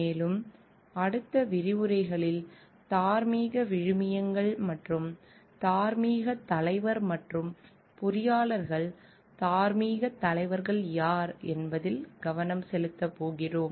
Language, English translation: Tamil, And in the subsequent lectures we are going to focus on the like the moral values and who is the moral leader and engineers as moral leaders